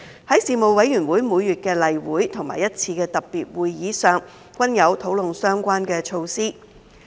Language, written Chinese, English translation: Cantonese, 在事務委員會每月的例會及一次特別會議席上，均有討論相關措施。, Relevant measures were discussed at the regular monthly meetings and a special meeting of the Panel